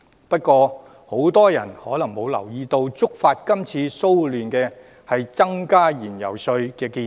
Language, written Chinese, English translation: Cantonese, 不過，很多人可能沒有留意，觸發今次騷亂的原因，是增加燃油稅的建議。, But many people may have overlooked the fact that it is the proposal to raise fuel taxes that triggered this riot